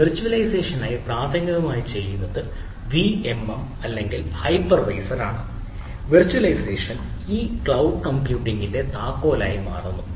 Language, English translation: Malayalam, so the virtualization becomes the key of this cloud computing